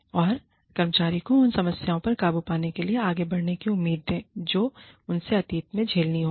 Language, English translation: Hindi, And, give the employee, hope of moving ahead of, overcoming the problems, that she or he may have faced in the past